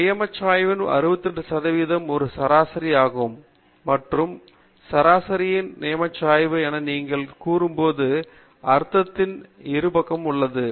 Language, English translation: Tamil, So about 68 percent within one standard deviation of the mean, and when you say one standard deviation of the mean, we mean on the either side of the mean